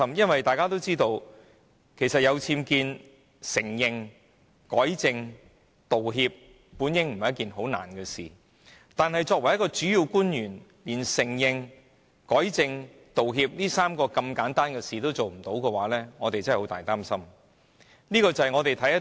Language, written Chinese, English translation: Cantonese, 因為大家也知道，面對僭建事件，承認、改正和道歉並不是甚麼難事，但作為一名主要官員，連承認、改正和道歉這麼簡單的3件事也不能做到，委實令我們感到十分擔憂。, It is because we all know that in the face of an incident concerning UBWs it is not a difficult thing to admit rectify and apologize but as a principal official it is really worrying if she cannot even do the three simple things of admitting the mistake rectifying the problem and apologizing to the public